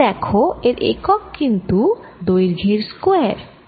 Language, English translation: Bengali, you can see this as units of distance square